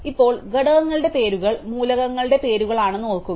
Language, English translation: Malayalam, Now, remember that the names of the components are the names of the elements